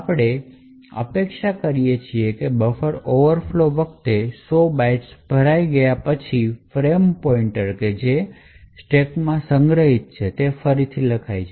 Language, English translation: Gujarati, What we expect should happen during the buffer overflow is that after this 100 bytes gets filled the frame pointer which is stored in the stack will get overwritten